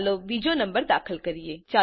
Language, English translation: Gujarati, Let us enter another number